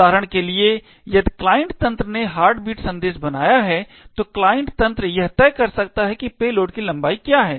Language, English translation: Hindi, For example, if the client system has created the heartbeat message then the client system can decide on what is the length of the payload